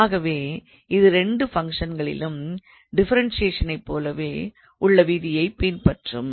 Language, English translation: Tamil, So, it is the similarly like a rule like differentiation of 2 functions